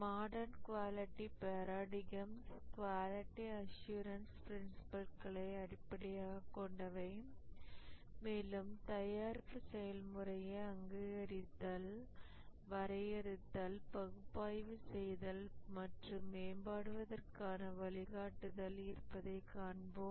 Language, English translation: Tamil, The modern quality paradigms are based on the quality assurance principles and we will see that there is guidance for recognizing, defining, analyzing and improving the product process